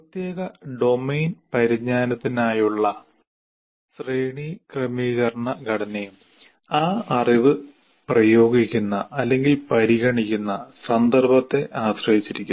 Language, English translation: Malayalam, And also the hierarchical structure for a particular domain knowledge also depends on the context in which that knowledge is being applied or considered